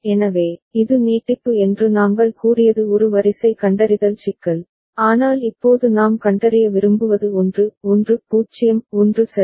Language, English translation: Tamil, So, this is a sequence detector problem on the as we said extension, but it is now what we want to be detected is 1 1 0 1 ok